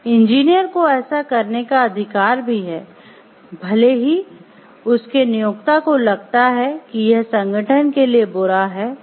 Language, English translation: Hindi, The engineer also has a right to do this even if his employer feels that it is bad for the organization